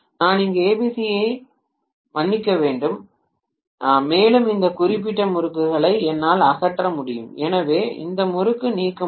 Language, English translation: Tamil, And I can sorry ABC here and I can eliminate this particular winding, so I can eliminate this winding